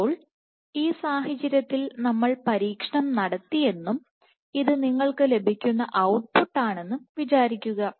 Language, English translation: Malayalam, So, in this case and let us say we have done the experiment and this is the output that you get